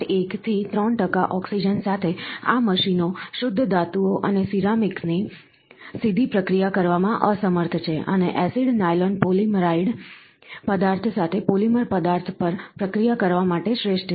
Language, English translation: Gujarati, 1 to 3 percent oxygen, these machines are incapable of directly processing pure metals and ceramics, and acids are optimised to process polymer materials with nylon polyamide material being the most popular one